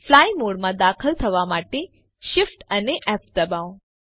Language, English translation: Gujarati, Press Shift, F to enter the fly mode